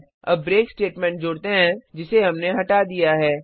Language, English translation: Hindi, Let us now add the break statement we have removed